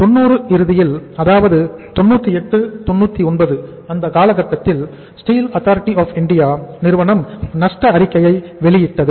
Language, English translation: Tamil, By the end of 90s, by the end of 90s, maybe 98, 99 Steel Authority of India started reporting loses